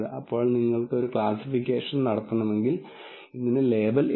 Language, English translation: Malayalam, Then if you want to do a classification there is no label for this